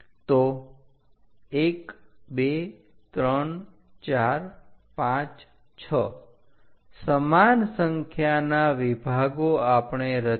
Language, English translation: Gujarati, So, 1 2 3 4 5 6 equal divisions we have constructed